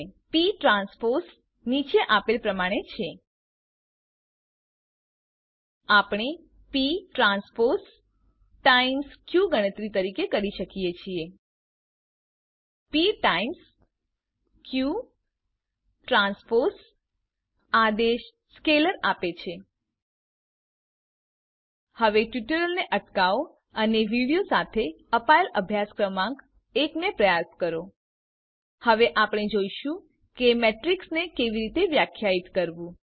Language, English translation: Gujarati, p transpose is as shown We can calculate p transpose times q: The command p times q transpose gives a scalar: Please pause the tutorial now and attempt exercise number one given with the video Now we will see how to define a matrix